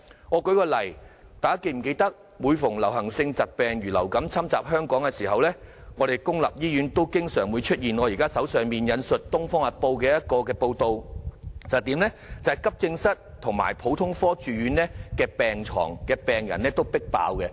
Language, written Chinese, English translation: Cantonese, 我舉一個例子，大家是否記得每逢流行性疾病如流感侵襲香港的時候，本港公立醫院經常出現我手上《東方日報》的報道，急症室及普通科住院病人"迫爆"的情況？, Then how could the Government properly take forward health prevention and health promotion? . Let me cite an example . Do Members remember the overcrowding situations in AE departments and general wards in public hospitals at times of epidemics such as influenza attacking Hong Kong like this news article of the Oriental Daily News?